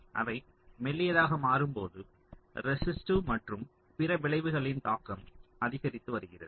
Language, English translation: Tamil, i mean they are becoming thinner and as they are becoming thinner, the the impact of the resistive and other effects are increasing